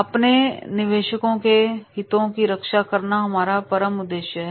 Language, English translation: Hindi, Safeguarding interests of investors is our prime objective